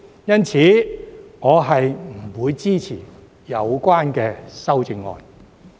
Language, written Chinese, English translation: Cantonese, 因此，我不會支持有關的修正案。, Therefore I will not support the relevant amendments